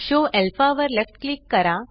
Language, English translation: Marathi, Left click Show Alpha